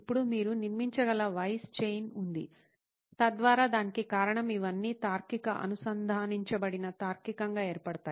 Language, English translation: Telugu, Now there is a chain of Whys that you can construct, build so that it all forms a logical, a connected logical Reasoning to that